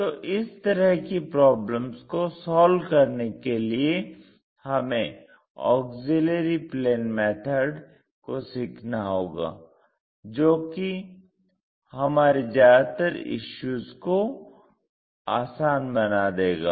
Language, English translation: Hindi, So, to do such kind of problems, we have to learn about something named auxiliary plane methods that simplifies most of these issues